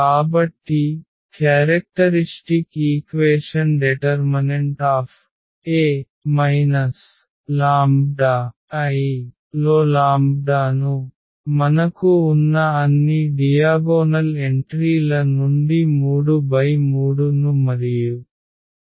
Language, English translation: Telugu, So, the characteristic equation will be determinant of this a minus lambda I, so we have to subtract this lambda from all the diagonal entries which is 3 3 and 5 there